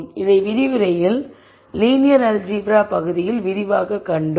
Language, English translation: Tamil, So, this we saw in detail in the linear algebra part of the lecture